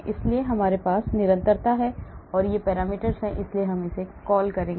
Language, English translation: Hindi, so we have constants these are the parameters so we will call it